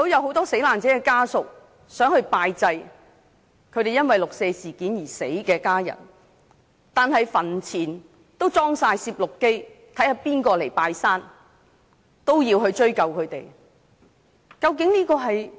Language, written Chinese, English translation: Cantonese, 很多死難者的家屬想拜祭因為六四事件而離世的家人，但墳前安裝了攝錄機拍攝誰人前來拜祭，要追究他們。, Many family members of those who died in the 4 June incident wanted to commemorate the dead but video cameras were set up at the cemetary to check who have pay respect to the dead with a view to pursue responsibility